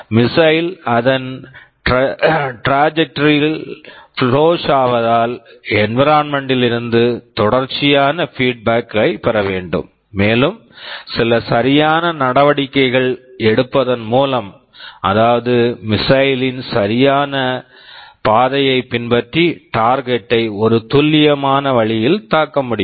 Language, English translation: Tamil, As the missile flows in its trajectory, there is continuous feedback from the environment and there are some corrective actions that need to be taken such that the missile can follow the correct path and hit the target in a precise way